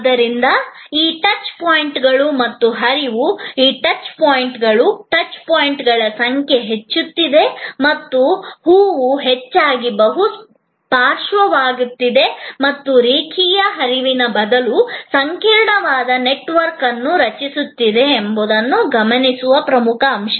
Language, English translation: Kannada, So, the key point here to notices that this touch points and the flow, the touch points, the number of touch points are increasing and the flower are often becoming multi lateral and creating a complex network rather than a linear flow